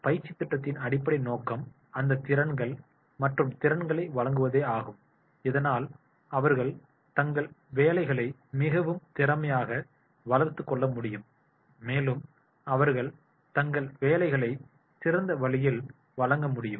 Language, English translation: Tamil, The basic purpose of the training program is to provide that sort of the relevant skills and competencies so that they can develop in a very, very efficient way their jobs and they can deliver in the best way of their jobs